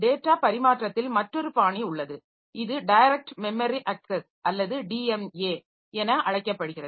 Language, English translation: Tamil, So, to solve this problem there is another transfer mechanism which is known as direct memory access or DMA is used